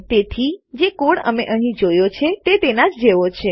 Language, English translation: Gujarati, So the code we see here is the same as that